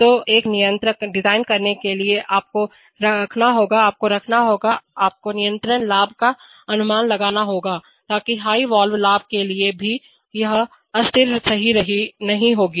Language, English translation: Hindi, So to design a controller you will have to keep the, you will have to keep the, you have to make a conservative estimate of the controller gain, so that even for the highest valve gain, it will not go unstable right